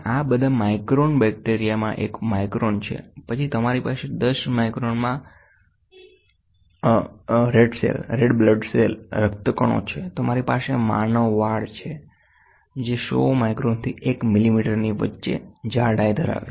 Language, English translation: Gujarati, And these are all in micron bacteria is one micron, then you have red blood cells in 10 micron, you have human hair which is close to which is between 100 micron to 1 millimeter